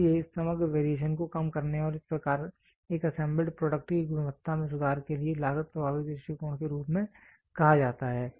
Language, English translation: Hindi, So, that is why it is said as cost effective approach for reducing the overall variation and thus improving the quality of an assembled product